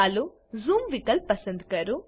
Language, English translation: Gujarati, Lets select Zoom option